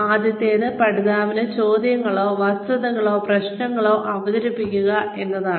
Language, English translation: Malayalam, The first one is, presenting questions, facts, or problems, to the learner